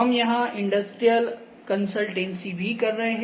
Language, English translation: Hindi, So, also we are doing some industrial consultancy here as well